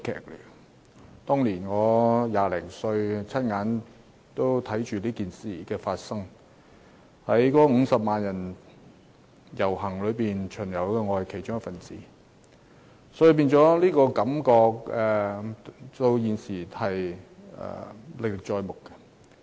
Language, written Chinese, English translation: Cantonese, 我當年20多歲，親眼看着事件發生，在50萬人遊行隊伍之中，我亦是其中一分子，所以感覺到現時仍歷歷在目。, At that time I was a young man in my twenties and I witnessed the incident . I was also one of the 500 000 people who took to the streets . So even to this day I still have a vivid memory of those events